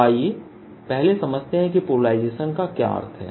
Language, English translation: Hindi, so let us first understand what does polarization mean